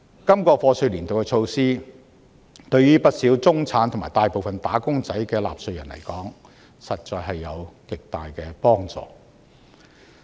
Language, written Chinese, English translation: Cantonese, 今個課稅年度的措施，對於不少屬中產和大部分"打工仔"的納稅人來說，實在有着極大的幫助。, The measures introduced for this year of assessment will be of significant help to many middle - class and wage - earner taxpayers